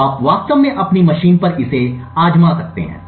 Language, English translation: Hindi, So, you can actually try this out on your machines